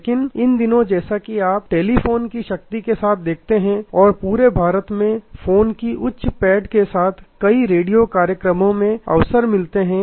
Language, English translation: Hindi, But, these days as you see with the power of telephone and the with the high penetration of phone across India many radio programs have call in opportunities